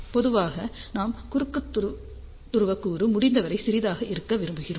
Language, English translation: Tamil, Generally speaking we would prefer cross polar component to be as small as possible